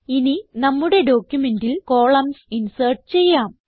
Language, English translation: Malayalam, Now lets insert columns into our document